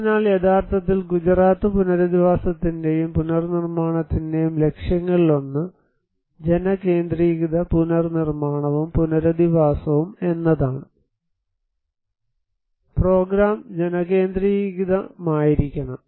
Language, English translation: Malayalam, So, actually the one of the objectives of Gujarat rehabilitation and reconstruction is to build People Centric Reconstruction and Rehabilitations, the program should be people centric